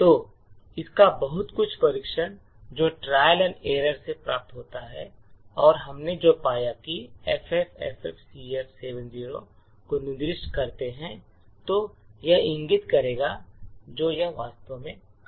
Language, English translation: Hindi, So, lot of this is obtained by trial and error and what we found that is if we specify the location FFFFCF70 it would indicate it would actually work